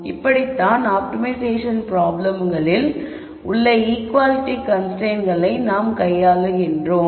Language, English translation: Tamil, So, that is how we deal with equality constraints in an optimization problems